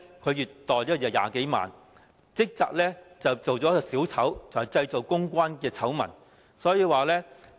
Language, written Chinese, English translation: Cantonese, 他月薪20多萬元，職責是扮演"小丑"及製造公關醜聞。, His monthly salary is some 200,000 and his duty is to act as a clown and create public relations scandals